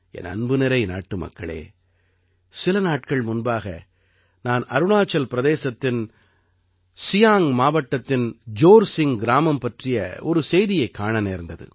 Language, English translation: Tamil, My dear countrymen, just a few days ago, I saw news from Jorsing village in Siang district of Arunachal Pradesh